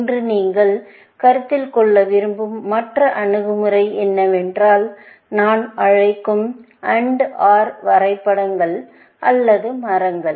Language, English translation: Tamil, The other approach that you want to consider, today, is to construct what I call AND OR graphs or trees